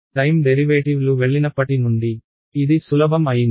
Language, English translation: Telugu, Since the time derivatives have gone, my pro life has become easier